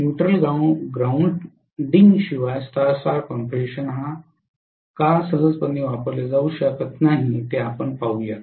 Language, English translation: Marathi, Let us see why, why Star Star configuration without neutral grounding cannot be used very easy